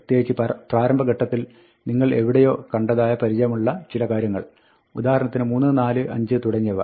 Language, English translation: Malayalam, In particular, you should see in the early stages somewhere, things which we are familiar with, like 3, 4, 5, and so on